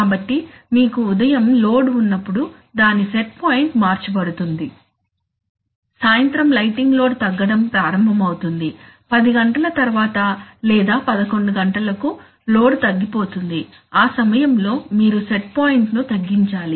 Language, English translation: Telugu, So when you will have load coming in the morning it set point will be changed, when lighting load in the evening will start going down, after let us say 10 o'clock or 11o'clock load will fall at that time you have to reduce the set point